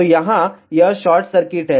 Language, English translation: Hindi, So, here this is short circuit